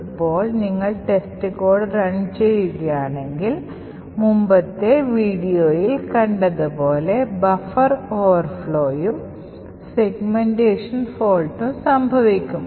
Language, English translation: Malayalam, Now if you run test code and we would have this buffer overflow as we have seen in the previous video and test code would segmentation fault and would have a fault